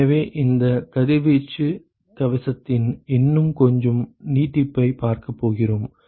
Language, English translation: Tamil, So, we are going to look at a little bit more extension of this ‘radiation shield’ ok